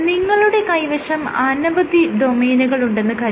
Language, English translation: Malayalam, So, if you have multiple domains